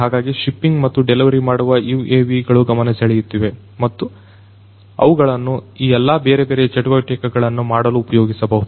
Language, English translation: Kannada, So, shipping and delivering UAVs are of you know attraction and they could be used for you know doing all of these different activities